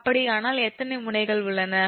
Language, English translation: Tamil, how many nodes are there